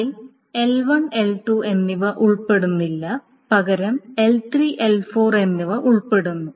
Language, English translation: Malayalam, It doesn't involve only L1 and L2, it rather involves L3 and L4